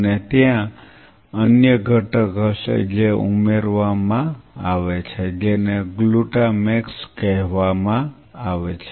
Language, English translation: Gujarati, And there is another component which is added which is called glutamax